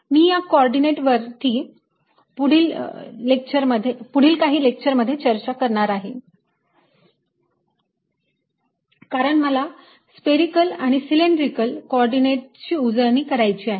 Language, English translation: Marathi, i'll talk about the coordinates in ah next couple of lectures, because ah just to review spherical and cylindrical coordinates